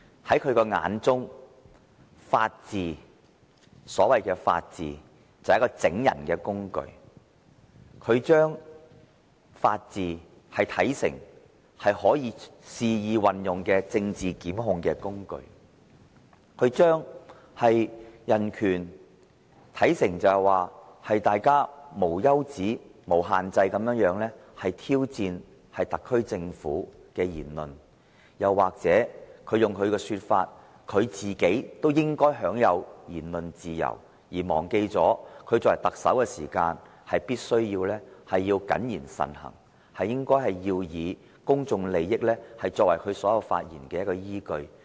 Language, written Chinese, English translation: Cantonese, 在他眼中，所謂的法治只是整人的工具，他把法治視為可以肆意運用的政治檢控工具；將人權視為大家無休止、無限制地挑戰特區政府的言論，又或如他所說，他亦應享有言論自由，忘記他作為特首必須謹言慎行，以公眾利益作為他發言的依據。, In his eyes the so - called rule of law is merely a means of oppression and he regards the rule of law a tool for political prosecution which he can exploit wantonly . To him human rights equals to remarks posing endless and boundless challenges to the SAR Government or as he said he also enjoys freedom of expression . He has simply forgotten that as the Chief Executive he must be cautious with this words and deeds and his remarks should always be based on the interest of the public